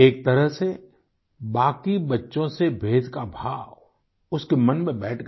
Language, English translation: Hindi, In a way, the feeling of being distinct from the rest of the children, took over his mind